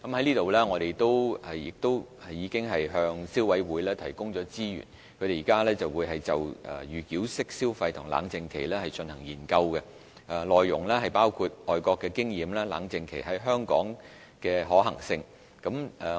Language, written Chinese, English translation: Cantonese, 政府已向消委會提供資源，該會現正就預繳式消費和冷靜期進行研究，內容包括外國的經驗和在香港實施冷靜期的可行性。, The Government has provided resources to CC which is conducting a research on pre - payment mode of consumption and cooling - off period covering areas such as overseas experiences and the feasibility of implementing cooling - off period in Hong Kong